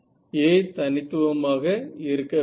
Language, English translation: Tamil, So, A also should be unique right